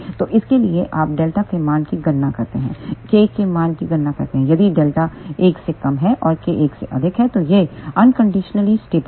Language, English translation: Hindi, So, for that you calculate the value of delta, calculate the value of k, if delta is less than 1 and k is greater than 1 then it is unconditionally stable